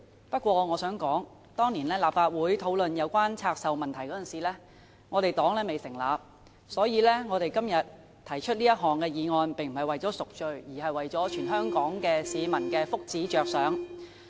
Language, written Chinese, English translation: Cantonese, 不過，我想說的是當年立法會討論有關拆售問題時，我們新民黨尚未成立，所以我們今天提出這項議案並非為了贖罪，而是為了全港市民的福祉着想。, However I would like to say that when the Legislative Council discussed the issue of divestment the New Peoples Party was not yet established . Therefore our proposal of todays motion is not for the sake of redemption but for the well - being of the people of Hong Kong